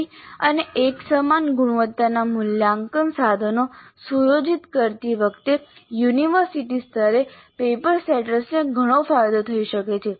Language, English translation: Gujarati, Paper setters at the university level can greatly benefit while setting assessment instruments of good and uniform quality